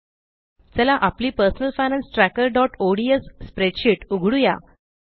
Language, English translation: Marathi, Let us open our Personal Finance Tracker.ods spreadsheet